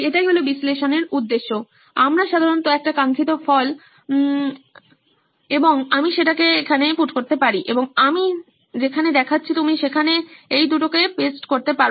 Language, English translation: Bengali, That’s the objective of this analysis, I usually have a desired result and I put there and I pointed arrow, you can just paste on these two